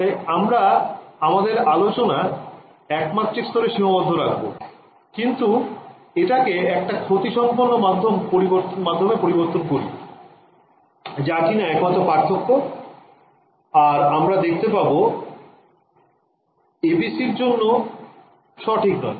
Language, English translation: Bengali, So, we will keep the discussion limited to 1D, but now change it to a lossy medium that is the only difference and here we will find that the ABC is not able to deal with it ok